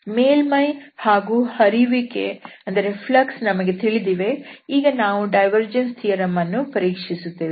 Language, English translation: Kannada, So, we have the surface, we have the flux and then we will verify the divergence theorem